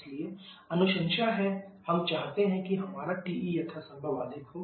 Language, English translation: Hindi, So, the recommendation is we want our TE to be as high as possible